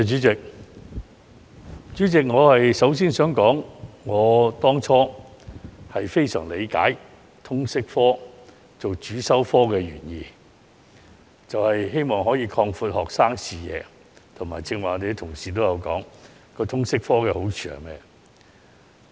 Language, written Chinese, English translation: Cantonese, 主席，我當初非常理解以通識科作為主修科的原意，是希望擴闊學生視野，正如剛才議員提到通識科的好處時所說。, President I very much understand that the original intention of introducing the subject of Liberal Studies LS as a compulsory subject back then was to broaden the horizon of students as pointed out by Members when they mentioned the merits of the subject